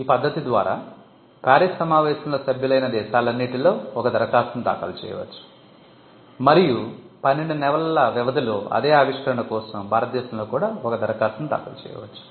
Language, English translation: Telugu, So, this is in arrangement, where you can file an application in any country, which is a member of the Paris convention and follow it up with an application in India for the same invention, within a period of 12 months